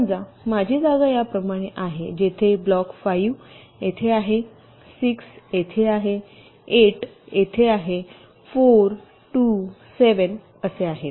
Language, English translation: Marathi, but suppose my placement was like this, where block five is here, six is here, eight is here four, two, seven, like this